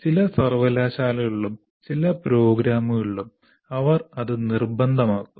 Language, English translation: Malayalam, In some universities, in some programs, they make it mandatory